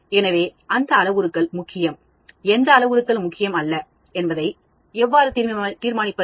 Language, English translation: Tamil, So how do I decide on which parameters are important, which parameters are not important